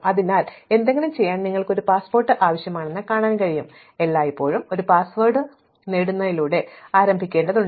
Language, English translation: Malayalam, So, we can see that you need a passport to do anything, so we always need to start with getting a password